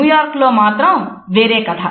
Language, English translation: Telugu, In New York, it is quite a different story